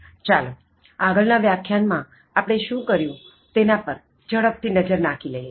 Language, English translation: Gujarati, Let us take a quick look at what we did it in the previous lecture